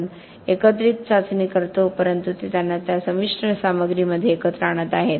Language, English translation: Marathi, We do aggregate testing but it is bringing them together into that composite material